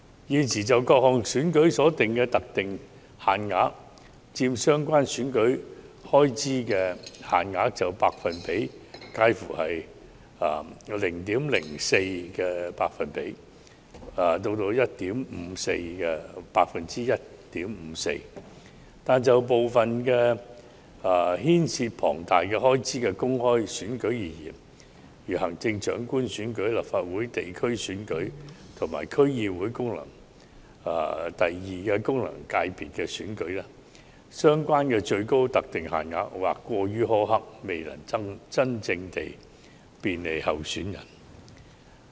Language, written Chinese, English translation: Cantonese, 現時就各項選舉所訂的特定限額佔相關選舉開支限額的百分比介乎 0.04% 至 1.54%， 但就部分牽涉龐大開支的公開選舉而言，如行政長官選舉、立法會地區選舉和區議會功能界別選舉，相關的最高特定限額或過於苛刻，未能真正便利候選人。, Currently the limits for different elections as a percentage of the respective EELs range from 0.04 % to 1.54 % but these limits seem to be too low for open elections involving huge expenses such as the Chief Executive Legislative Council geographical constituency GC and DC second FC elections failing to do real help to candidates